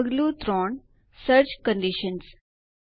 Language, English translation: Gujarati, Step 3 Search Conditions